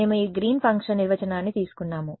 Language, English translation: Telugu, We took this Green’s function definition